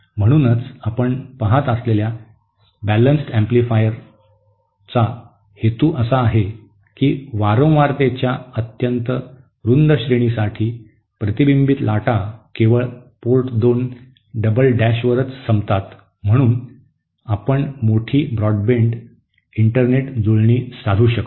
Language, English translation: Marathi, So this is so the purpose of the balanced amplifier you see is that since for a very wI De range of frequencies, the reflected waves will end up only at Port 2 double dash, hence we can achieve very broad band Internet matching